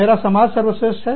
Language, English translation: Hindi, My community is the best